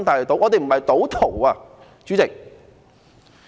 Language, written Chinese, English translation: Cantonese, 我們不是賭徒，主席。, We are not gamblers Chairman